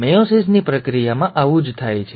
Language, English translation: Gujarati, This is what happens in the process of meiosis